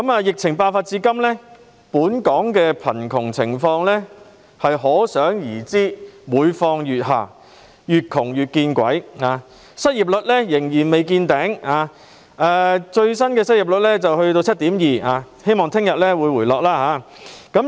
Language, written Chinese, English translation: Cantonese, 疫情爆發至今，本港的貧窮情況每況愈下，"越窮越見鬼"，失業率仍未見頂，最新的失業率達 7.2%， 希望其後會回落。, The poorer one is the more misfortune one suffers . The unemployment rate has not reached its peak yet . The latest figure has climbed to 7.2 % and hopefully it will go down later